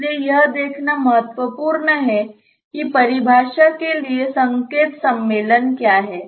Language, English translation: Hindi, So, it is important to see what is the sign convention for the definition